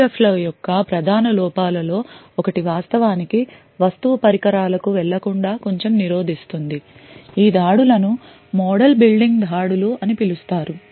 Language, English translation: Telugu, One of the major drawbacks of PUFs which is preventing it quite a bit from actually going to commodity devices is these attacks known as model building attacks